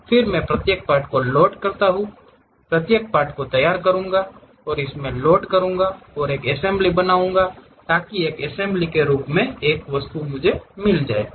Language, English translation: Hindi, Then, I load each individual part, I will prepare each individual part, load it and make a mating, so that a single object as assembly we will get it